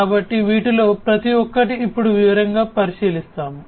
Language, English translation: Telugu, So, we will look at each of these in detail now